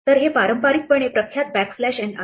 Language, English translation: Marathi, So, this is conventionally the noted backslash n